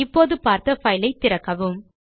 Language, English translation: Tamil, Now reopen the file you have seen